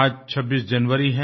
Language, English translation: Hindi, Today is the 26th of January